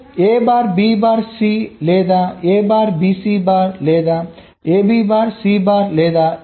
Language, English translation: Telugu, so a bar, b, bar, c or a bar, b c bar, or a b bar, c bar or a b c